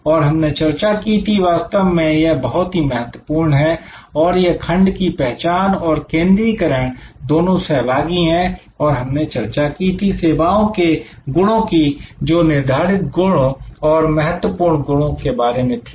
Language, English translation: Hindi, And we discuss that actually this is very important and this focusing and identification of the segment they go kind of interactively hand in hand and we discussed about service attributes determinant attributes and important of attributes